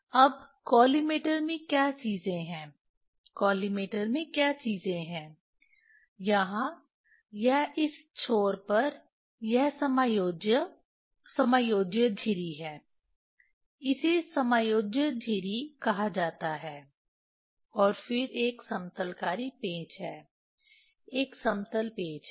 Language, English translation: Hindi, Now, in collimator what things are there, in collimator what things are there here it is at this end at this end this is adjustable, adjustable slit, here is called adjustable slit, and then there is a leveling screw there is a leveling screw